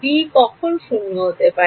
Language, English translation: Bengali, When can the b s be non zero